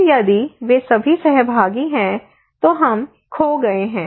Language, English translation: Hindi, Then if all of them are participatory, then we are lost